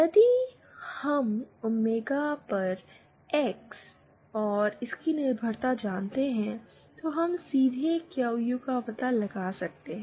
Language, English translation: Hindi, If we know the X and its dependence on omega, we can directly find out the QU